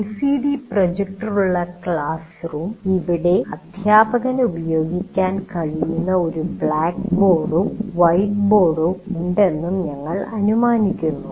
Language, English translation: Malayalam, Coming to the classroom with LCD projector, we assume there is also a board, a blackboard or a white board, the teacher can make use of it